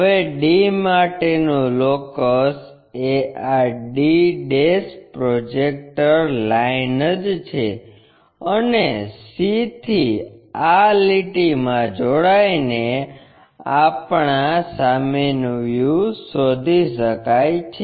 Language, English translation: Gujarati, Now, the locus for d is this d' the projector lines, and from c join this line to locate our front view